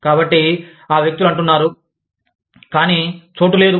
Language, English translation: Telugu, So, these people say, but, there is no place